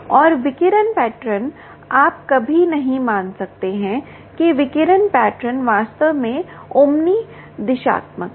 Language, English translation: Hindi, ok, and radiation pattern: you can never assume that the radiation pattern, indeed, is omni directional